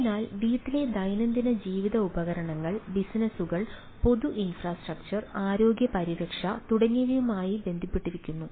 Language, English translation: Malayalam, so home, daily life devices are getting connected: businesses, public infrastructure, health care and etcetera, etcetera